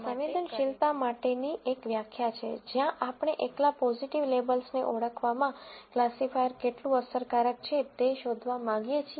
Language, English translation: Gujarati, Now the other definitions, there is a definition for sensitivity, where we want to find out how effective the classifier is in identifying positive labels alone